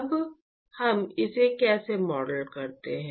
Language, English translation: Hindi, Now, how do we model this